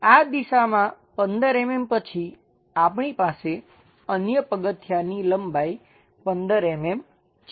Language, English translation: Gujarati, On this direction after 15 mm we have the step length of another 15 mm